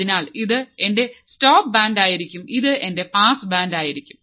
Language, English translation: Malayalam, So, this will be my stop band this will be my pass band